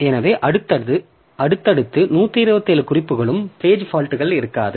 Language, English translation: Tamil, So, in successive 127 references there will be no more page faults